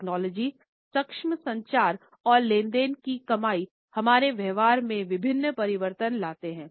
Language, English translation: Hindi, Technology enabled communications and earning transactions bring about various changes in our behaviours